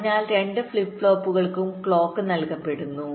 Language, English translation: Malayalam, so the clock is being fed to both the flip flops, so after the clocks comes